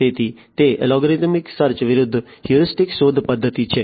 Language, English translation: Gujarati, So, it is algorithmic search versus heuristic search method